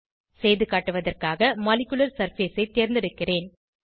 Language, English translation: Tamil, For demonstration purpose, I will select Molecular surface